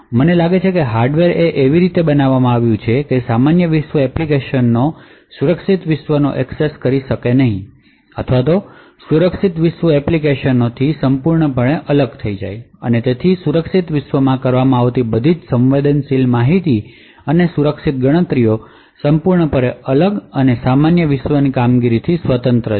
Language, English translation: Gujarati, I think hardware is built in such a way that the normal world applications will not be able to access or is totally isolated from the secure world applications and therefore all the sensitive information and secure computations which is done in the secure world is completely isolated and completely independent of the normal world operations